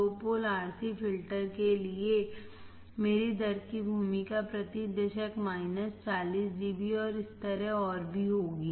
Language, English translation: Hindi, For two pole RC filter my role of rate will be minus 40 dB per decade and so on all right